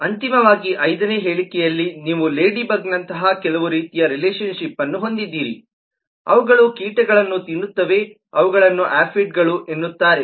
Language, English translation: Kannada, finally, in the fifth statement you have some kind of a relationship, such as ladybugs eat certain pests, such as aphids